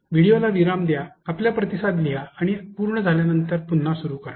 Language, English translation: Marathi, Pause the video, write down your responses and when you are done, resume